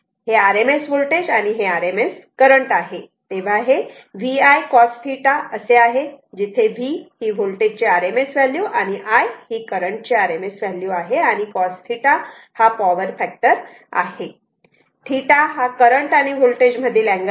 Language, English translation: Marathi, This voltage and this is rms current that means, it is VI cos theta, whereas V is the rms value of the voltage, and I is the rms value of the current multiplied by the cos theta